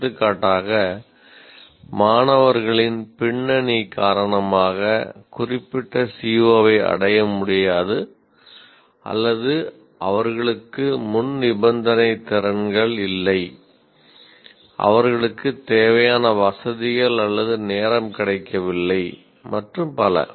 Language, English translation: Tamil, For example, a particular CVO may not be attainable either because of the background of the students or they don't have prerequisite competencies, they don't have the required facilities nor time available and so on